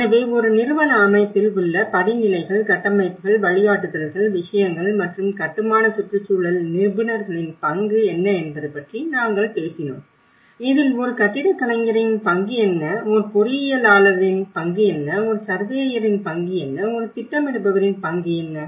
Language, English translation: Tamil, So here we did talked about what are the various setups you know the hierarchies in a institutional set up, the frameworks, the guidances so all those things and the role of built environment professionals whether it is an, what is a role of architect, what is the role of an engineer, what is the role of a surveyor and what is the role of a planner